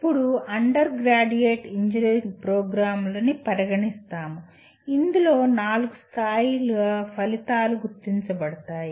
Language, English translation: Telugu, Now, coming to our undergraduate engineering programs there are four levels of outcomes identified